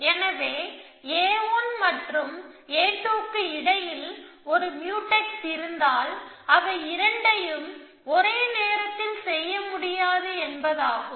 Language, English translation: Tamil, So, it if there is a Mutex between A 1 and A 2, it means they both cannot be done at the same time